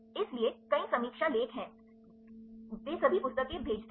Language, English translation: Hindi, So, there is several review article also they all sent the books